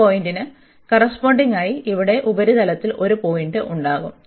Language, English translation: Malayalam, And then corresponding to this point, we will have a point there in the on the surface here